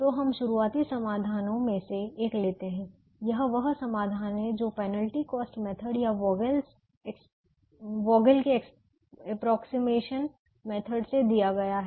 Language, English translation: Hindi, this is the solution that is given by the penalty cost method or the vogel's approximation method